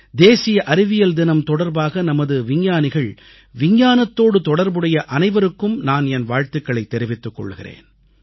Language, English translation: Tamil, I congratulate our scientists, and all those connected with Science on the occasion of National Science Day